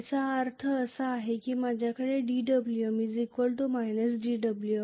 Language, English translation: Marathi, Which means I am going to have dWm equal to minus of dWf